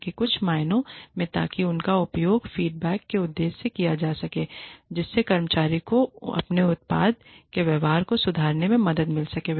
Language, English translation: Hindi, So that, in some ways, so that, they can be used, for the purpose of feedback, that can help the employee improve, his or her behavior, his or her product